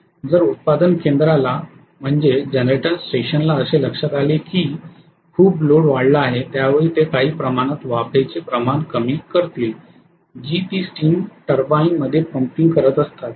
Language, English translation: Marathi, If the generating station realizes many loads having shed off, then they have to reduce the amount of steam that they are pumping into the steam turbine right